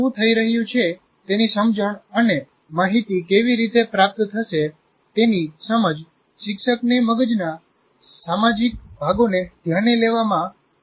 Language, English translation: Gujarati, So, an understanding of what is happening, how the information is going to get processed, will help the teacher to target social parts of the brain